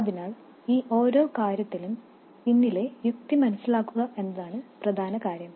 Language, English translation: Malayalam, So the important thing is to understand the logic behind each of these things